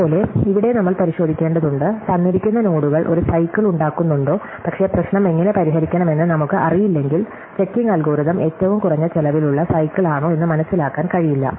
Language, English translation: Malayalam, Similarly, here we just need to check, whether the given nodes form a cycle, but unless we know how to solve the problem, the checking algorithm cannot figure out whether itÕs a least cost cycle or not